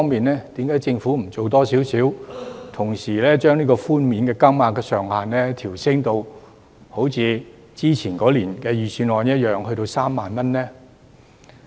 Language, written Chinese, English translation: Cantonese, 因此，政府為何不多做一點，把寬免金額上限同時調升至例如去年預算案中的3萬元呢？, That being the case why does the Government not take a further step to raise the reduction ceiling to say 30,000 as in last years Budget?